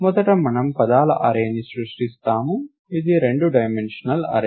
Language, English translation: Telugu, So, first we create an array of words, its a two dimensional array